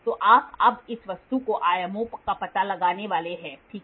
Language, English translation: Hindi, So, now, you are supposed to find out the dimensions of this object, ok